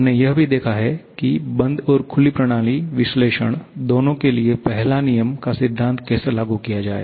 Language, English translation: Hindi, And we have also seen how to apply the first law principle for both closed and open system analysis